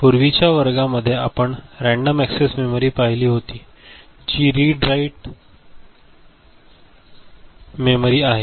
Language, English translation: Marathi, In earlier classes, we had seen random access memory which is also read write memory